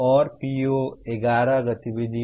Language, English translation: Hindi, And PO11 activities